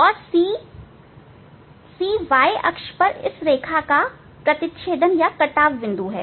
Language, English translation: Hindi, And c, c is the intersection of this line on the y axis